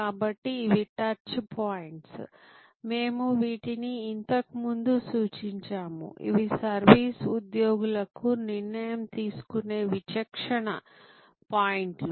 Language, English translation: Telugu, So, these are the touch points, that we have referred to earlier, which are also discretion point decision making points for service employees